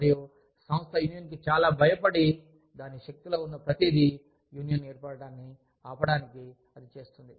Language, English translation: Telugu, And, organization is so scared of unionization, that it does, everything in its power, to stop the formation of union